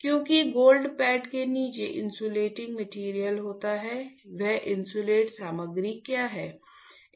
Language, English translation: Hindi, Because, below gold pad there is an insulating material; wWhat is that insulating material